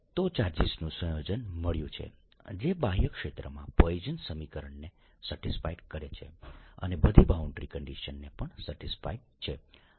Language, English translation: Gujarati, so we have found a combination of charges that satisfies the equation poisson equation in the outer region also satisfies all the boundary conditions